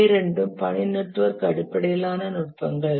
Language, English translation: Tamil, Both of these are task network based techniques